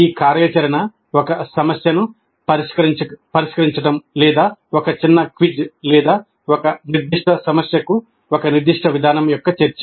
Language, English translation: Telugu, This activity could be solving a problem or a small quiz or discussion of a particular approach to a specific problem